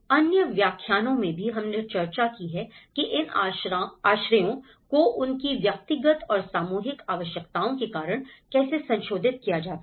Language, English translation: Hindi, And in other lectures also we have discussed how these shelters have been modified for that because of their individual and collective needs